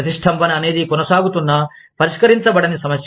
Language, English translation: Telugu, An impasse is an, ongoing, unresolved issue